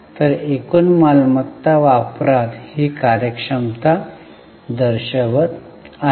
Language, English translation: Marathi, So, this is showing efficiency in utilization of total assets